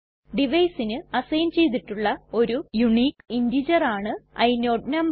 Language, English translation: Malayalam, The inode number is a unique integer assigned to the device